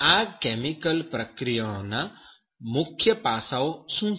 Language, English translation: Gujarati, And what are the main aspects of chemical processes